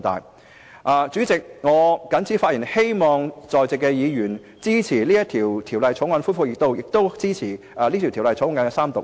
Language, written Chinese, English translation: Cantonese, 代理主席，我謹此陳辭，希望在席議員支持《條例草案》恢復二讀及三讀。, With these remarks Deputy President I hope the Members present will support the resumption of Second Reading debate on the Bill and the Third Reading of the Bill